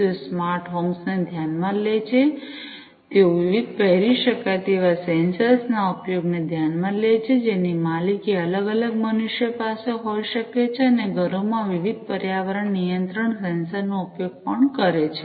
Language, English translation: Gujarati, They consider the smart homes, they consider the use of different wearable sensors, which could be owned by different humans, and also the use of different environment control sensors at homes